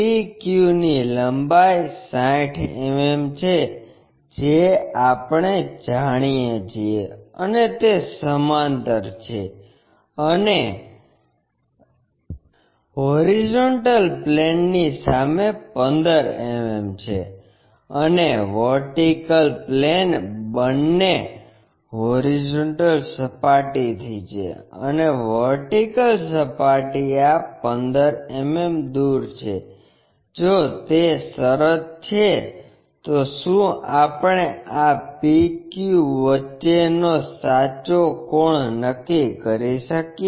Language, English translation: Gujarati, PQ length is 60 mm we know, and it is parallel to and 15 mm in front of HP and VP is both fromhorizontal plane and vertical plane is at this 15 mm, if that is the case can we determine the true angle between this PQ